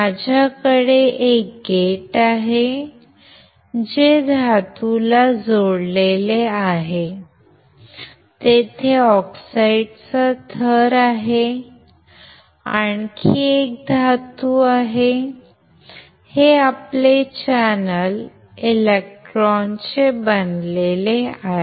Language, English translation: Marathi, It looks like I have a gate which is connect to a metal, then there is a oxide layer, and then there is a another metal; why because this constitutes your channel, made up of electrons